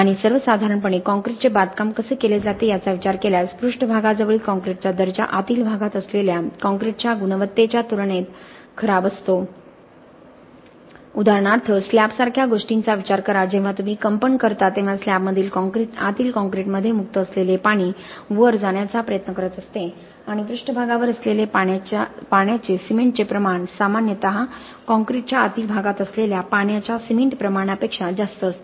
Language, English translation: Marathi, And in general if you think about it the way that concrete construction is done the concrete quality near the surface is generally poorer as compared to the concrete quality in the interior just think about something like a slab for instance when you do the vibration of the concrete in the slab the water which is free in the inside the concrete will tend to move up and the water cement ratio that is at the surface will generally be greater than the water to cement ratio in the interior of the concrete